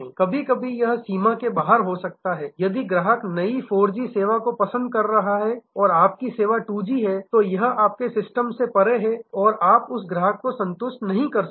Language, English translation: Hindi, Sometimes it may be beyond the if the customer is very much liking the new 4G service and your service is 2G then it is beyond your system, you cannot satisfied that customer